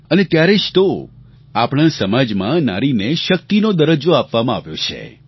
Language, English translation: Gujarati, And that is why, in our society, women have been accorded the status of 'Shakti'